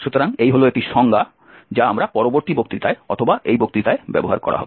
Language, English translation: Bengali, So that is the one definition we will be using in following lecture or in this lecture